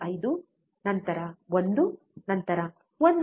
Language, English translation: Kannada, 5, then 1 then 1